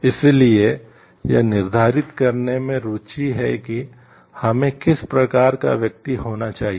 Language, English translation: Hindi, So, it is interested in determining what kind of person we should be